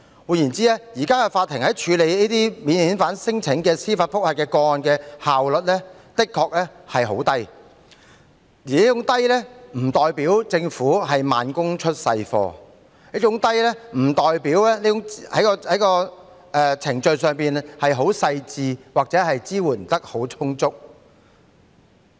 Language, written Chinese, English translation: Cantonese, 換言之，現時法庭處理這類免遣返聲請司法覆核個案的效率很低，但這並不代表政府慢工出細貨，亦不代表有關的程序工作細緻或支援充足。, In other words the current court efficiency in handling the judicial review cases in respect of non - refoulement claims is very low but this does not mean that the Government works slowly to produce good results nor the relevant procedures are meticulous or adequate support has been provided